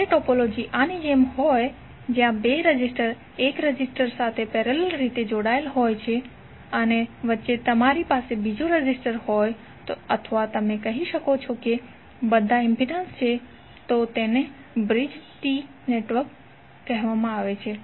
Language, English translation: Gujarati, When the topology is like this where two resistances are connected parallelly with one resistor and in between you have another resistor or may be you can say all of them are impedances then it is called Bridged T network